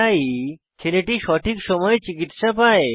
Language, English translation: Bengali, So the boy got the medical aid in time